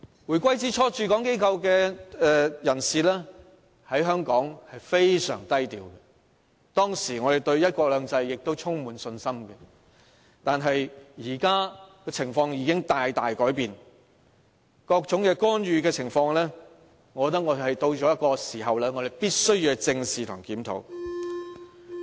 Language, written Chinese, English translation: Cantonese, 回歸之初，駐港機構的人士在香港非常低調，當時我們對"一國兩制"充滿信心，但現在情況已經大大改變，各種干預已到了必須正視和檢討的時候。, In the early years following the reunification the personnel of Central Governments offices in Hong Kong all kept a low profile and we had full confidence in one country two systems at that time . However the present situation has changed drastically as interference has become so serious that we must address squarely and conduct reviews